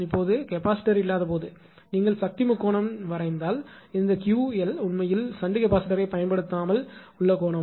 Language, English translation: Tamil, Now, without capacitor when this is not there; if you draw the power triangle, so this is this theta 1 actually is the angle without using shunt capacitor right without using shunt capacitor